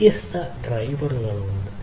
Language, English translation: Malayalam, So, there are different drivers